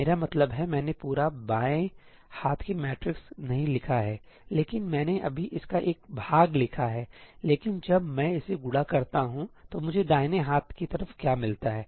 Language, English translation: Hindi, I mean, I have not written out the complete left hand side matrix, but I have just written a part of it, but what do I get on the right hand side when I multiply this